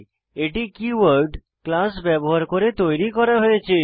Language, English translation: Bengali, Class is created using a keyword class It holds data and functions